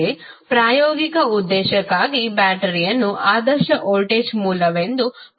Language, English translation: Kannada, But for a practical purpose we can consider battery as ideal voltage source